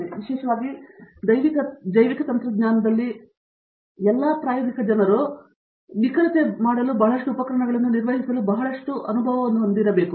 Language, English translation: Kannada, So, especially in biotechnology all experimental people, so need to have lot of experience to handle lot of equipment’s to do an accuracy